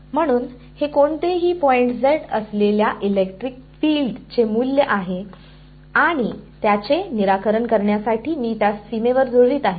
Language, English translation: Marathi, So, this is the value of the electric field that any point z and to solve it I am matching it on the boundary